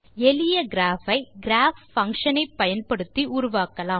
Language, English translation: Tamil, We create a simple graph by using the Graph() function